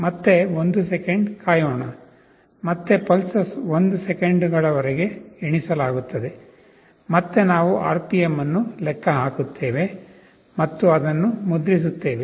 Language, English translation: Kannada, Again wait for 1 second, again the pulses will get counted for 1 seconds, again we calculate RPM and print it